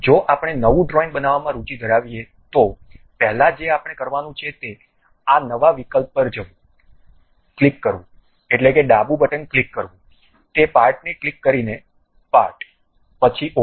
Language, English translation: Gujarati, If we are interested in constructing a new drawing, the first part what we have to do is go to this new option, click means left button click, part by clicking that, then OK